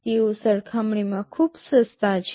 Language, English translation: Gujarati, They are pretty cheap in comparison